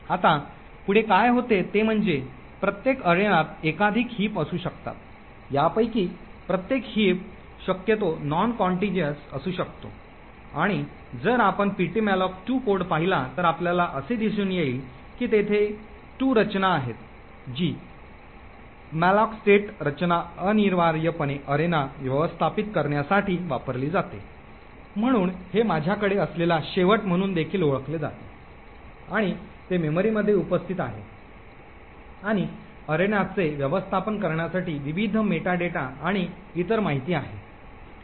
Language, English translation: Marathi, Now further what happens is that each arena can have multiple heaps, each of these heaps could be possibly non contiguous and if you look at ptmalloc2 code you would see that there are 2 structures that are present the malloc state structure is essentially used to manage arena, so this is also known as the end I had and it is present in memory and contains various meta data and other information to manage the arena